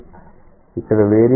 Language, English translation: Telugu, Here what is the variable